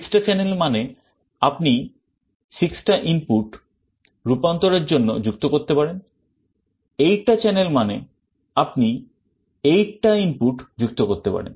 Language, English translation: Bengali, 6 channel means you could connect 6 inputs for conversion; 8 channel means you could connect 8 inputs